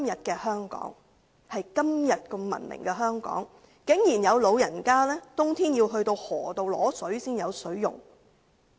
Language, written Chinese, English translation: Cantonese, 在今天如此文明的香港，有老人家在冬天竟然要到河流取水，才有水可用。, In such a civilized place like Hong Kong today in winter some old people still have to go to the river to fetch water for use